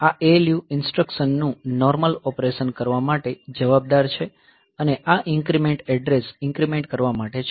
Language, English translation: Gujarati, So, this ALU is responsible for doing the normal operations of the instructions and this incremental is for address incrementing